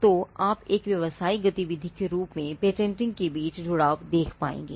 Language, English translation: Hindi, So, you will be able to see the connect between patenting as a business activity